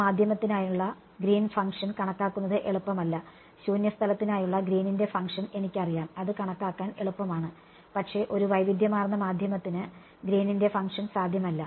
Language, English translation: Malayalam, Green’s function for that medium will not be easy to calculate, I know Green’s function for free space that is easy to calculate, but Green’s function for a heterogeneous medium is not possible